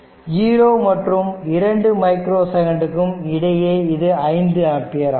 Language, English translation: Tamil, Now, therefore, in between your 0 to 2 micro second, it is 5 ampere, it is 5 ampere